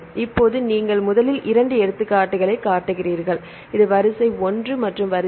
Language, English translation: Tamil, Now, you show two examples first this is the sequence 1 here sequence 2